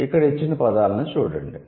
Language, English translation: Telugu, Look at the words given here